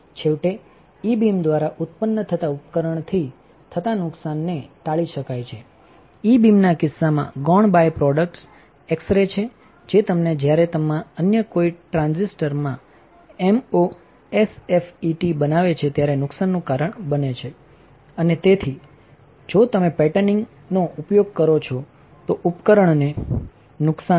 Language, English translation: Gujarati, Finally, damage the device damage from excess generated by E beam is avoided; in case of E beam the secondary byproducts are X rays which are which will cause damage when you create MOSFETs in particular another transistors and that is why the device damage if you use patterning would be minimal